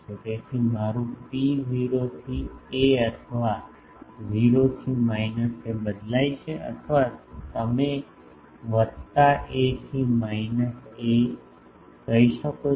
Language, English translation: Gujarati, So, my rho varies from 0 to a or 0 to or you can say plus a to minus a